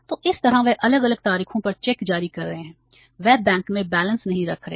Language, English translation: Hindi, So this way they are issuing the checks on the different dates